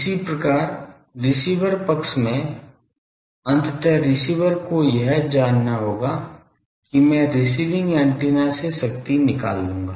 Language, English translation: Hindi, Similarly in the receiver side ultimately receiver will have to know that I will have extract power from the receiving antenna